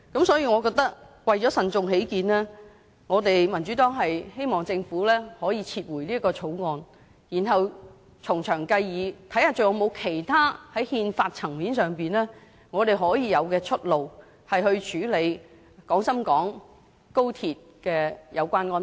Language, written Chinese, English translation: Cantonese, 所以，為慎重起見，我們民主黨希望政府撤回《條例草案》，然後從長計議，看看在憲法層面上，我們有甚麼出路可處理有關廣深港高鐵的安排。, Therefore for the sake of prudence we in the Democratic Party hope that the Government will withdraw the Bill and hold further in - depth and detailed discussions to see what ways there are to deal with the arrangements related to the Guangzhou - Shenzhen - Hong Kong Express Rail Link at the constitutional level